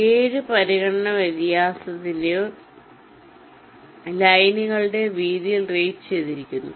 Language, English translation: Malayalam, the seven consideration is rated to the width of the vias or the lines